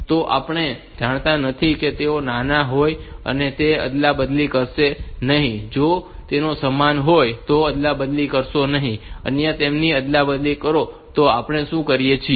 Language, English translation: Gujarati, So, we do not know if they are less do not interchange, if they equal then also do not interchange otherwise we have to interchange them